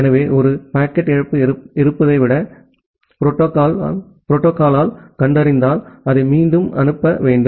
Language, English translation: Tamil, So, if the protocol detects that there is a packet loss you need to retransmit it